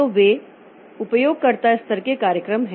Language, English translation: Hindi, So they are user level programs